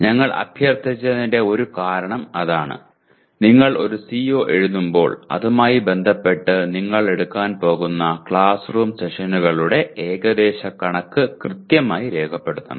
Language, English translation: Malayalam, That is one of the reasons why we requested when you write a CO you associate the approximate number of classroom sessions you are going to take